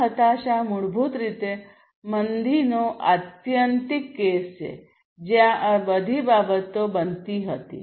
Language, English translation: Gujarati, This depression basically is the extreme case of recession, where all of these things would happen